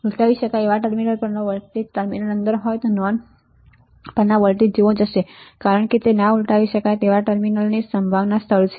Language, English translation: Gujarati, The voltage at the inverting terminal will be same as a voltage at the non when terminal in since the non inverting terminal is at ground potential